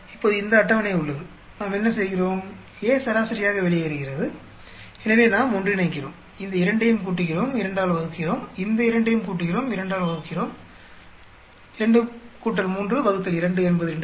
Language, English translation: Tamil, We have this table now, we what we do is, A gets averaged out, so we combine, add these two, divide by 2, add these two, divide by 2, 2 plus 3 by 2 is 2